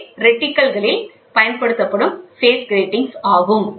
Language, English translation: Tamil, These are phase grating phase grating used in reticles